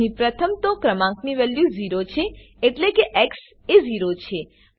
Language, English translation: Gujarati, Here, First the value of number is 0 ie